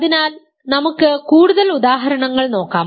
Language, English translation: Malayalam, So, let us look at more examples